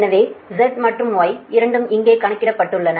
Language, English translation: Tamil, so z and y, both here computed